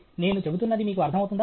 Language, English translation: Telugu, You get what I am saying